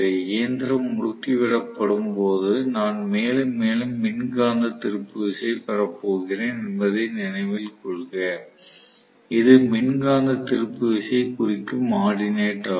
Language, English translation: Tamil, So, the machine will start accelerating, as it accelerates please note that I am going to get more and more electromagnetic torque, are you getting my point this is the ordinate which represents the electromagnetic torque